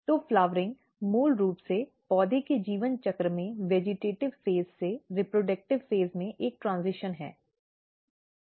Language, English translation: Hindi, So, flowering is basically a transition from vegetative phase to the reproductive phase in the life cycle of a plant